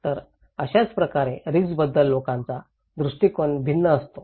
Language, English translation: Marathi, So, this is how people have different perspective about the risk